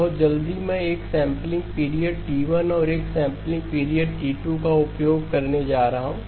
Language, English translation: Hindi, So very quickly I am going to use a sampling period T1 and a sampling period T2